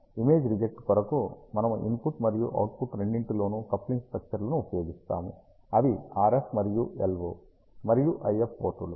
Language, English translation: Telugu, Image reject we use coupling structures at both input and output which are the RF and LO and the IF ports